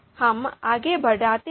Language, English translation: Hindi, Let us move forward